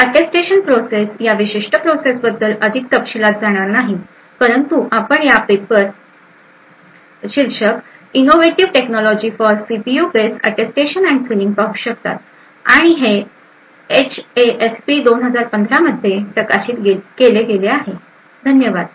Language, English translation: Marathi, So, the Attestation process is will not go into too much detail about this particular process but you could actually look at this paper title Innovative Technologies for CPU based Attestation and Sealing and this was published in HASP 2015, thank you